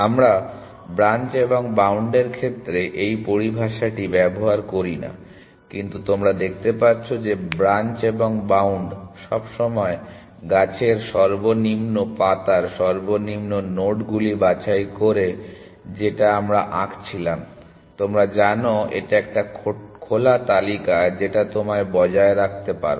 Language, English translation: Bengali, We dint use this terminology in branch and bound, but you can see that branch and bound also always picks the lowest nodes in lowest leaf in the tree that we were drawing which is like you know open list that you can maintain